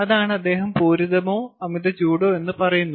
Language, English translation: Malayalam, ok, that is what he is saying, saturated or superheated